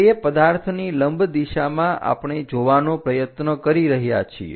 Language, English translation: Gujarati, In the perpendicular direction to that object we are trying to look at